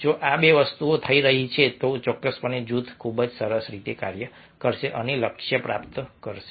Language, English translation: Gujarati, if these two things are happening, then definitely group will function very nicely and achieve the goal